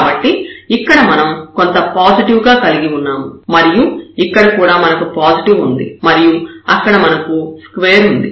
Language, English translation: Telugu, So, here we have something positive and here also we will have positive this is a square there